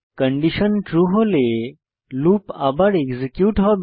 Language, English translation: Bengali, If the condition is true, the loop will get executed again